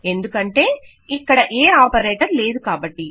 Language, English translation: Telugu, This is because, there is no operator to be found here